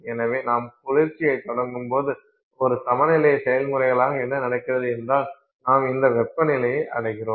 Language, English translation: Tamil, So, what happens as an equilibrium process is as you start cooling down, let's say you reach this temperature